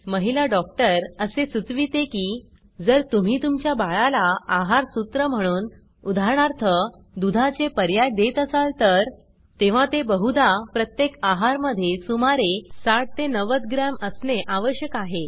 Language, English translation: Marathi, The lady doctor states that if youre formula feeding your baby like for eg:milk substitutes, then it will most likely take about 60 90 gm at each feeding